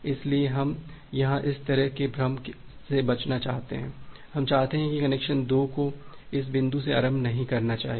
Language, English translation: Hindi, So we want to avoid this kind of confusion here, that we want that well the connection 2 should not initiate from this point